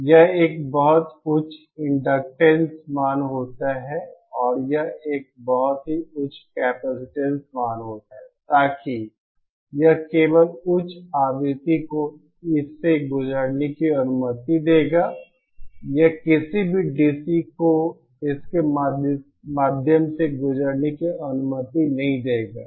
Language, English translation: Hindi, This is a very high inductance value and this is a very high capacitance value, so that it will allow only high frequency to pass through this, it will not allow any DC to pass through it